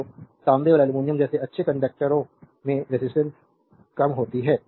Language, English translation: Hindi, So, good conductors such as copper and aluminum have low resistivity